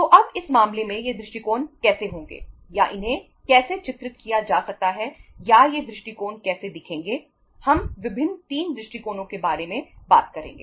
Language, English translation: Hindi, So now in this case how these approaches will be or how they can be depicted or how these approaches will be looking like we will be talking about the different 3 approaches